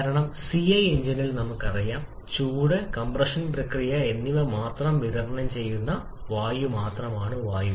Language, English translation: Malayalam, Because in CI engine, we know that it is only air which is supplied only suction and compression process that is only air